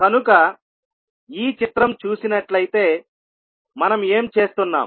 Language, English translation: Telugu, So, if you see this particular figure, what we are doing